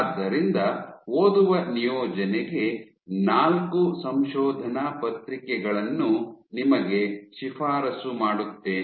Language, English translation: Kannada, So, as reading assignment, I would recommend you to read four papers